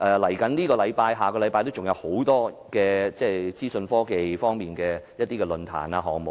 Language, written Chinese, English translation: Cantonese, 下星期還有多個關乎資訊科技方面的論壇或項目。, A number of forums or events relating to information technology will be held next week